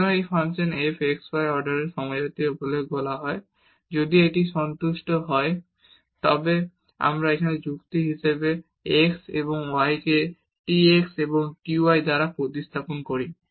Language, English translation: Bengali, So, a function f x y is said to be homogeneous of order n if it satisfies so, we replace here the argument x and y by t x and t y